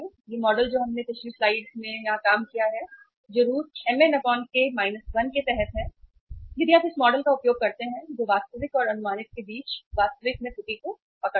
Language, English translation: Hindi, This model which we have worked out in the previous slide here that is under root mn by k minus 1 if you use this model which will capture the error in in the actual between the actual and the estimated